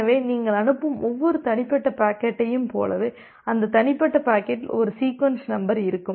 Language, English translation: Tamil, So, it is just like that every individual packet that you are sending out, that individual packet will contain a sequence number